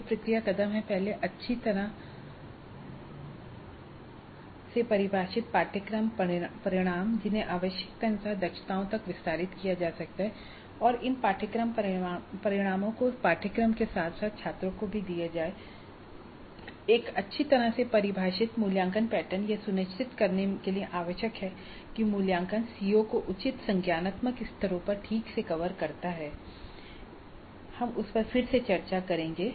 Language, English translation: Hindi, The process steps involved are first well defined course outcomes which can be expanded to competencies as required and these course outcomes are communicated to the students upfront along with the syllabus and a well defined assessment pattern that is essential to ensure that the assessment covers the COA properly at proper cognitive levels we will discuss that